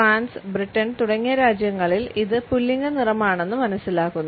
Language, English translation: Malayalam, In countries like France and Britain, it is perceived to be a masculine color